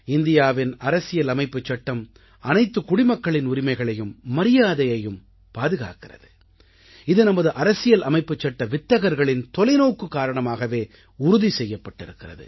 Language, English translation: Tamil, Our constitution guards the rights and dignity of every citizen which has been ensured owing to the farsightedness of the architects of our constitution